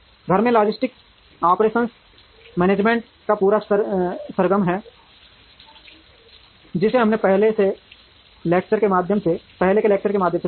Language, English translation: Hindi, In house logistics is the whole gamut of operations management that we have seen through the earlier lectures